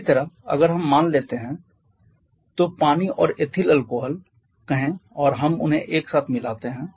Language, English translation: Hindi, Similarly, if we take suppose, say water and ethyl alcohol and we mix them together